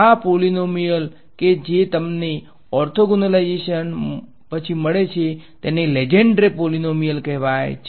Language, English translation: Gujarati, These polynomials that you get after orthogonalization are called so called Legendre polynomials ok